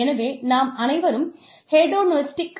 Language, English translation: Tamil, So, we are all hedonistic